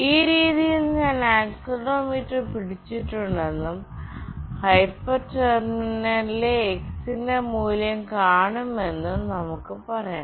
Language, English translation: Malayalam, Let us say I have hold the accelerometer in this fashion and will come and see the value of x in the hyper terminal